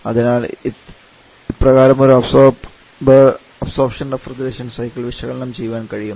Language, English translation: Malayalam, So this is the way we can analyse and absorption refrigeration cycle